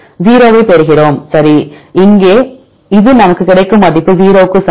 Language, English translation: Tamil, Right we get the 0, right, here this is the value we get is equal to 0